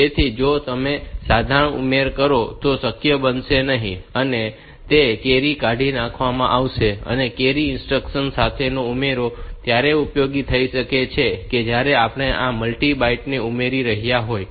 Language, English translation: Gujarati, So, if you execute simple add then that will not be possible, that carry will get discarded of this add with carry instruction can be useful when we are having this multi byte addition